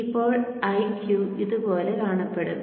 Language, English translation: Malayalam, Now IQ will look something like this